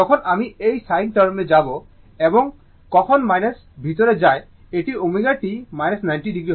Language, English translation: Bengali, When you go this sin term and when minus going inside, it will be omega t minus 90 degree